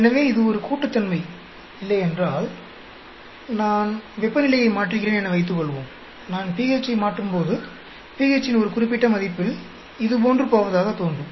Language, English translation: Tamil, So, if it is not an additive, suppose when I am changing temperature, and when I am changing pH, at one particular value of pH it appears to go like this